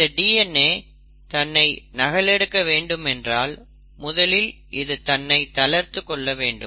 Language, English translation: Tamil, Now it is important if the DNA has to replicate, it has to first unwind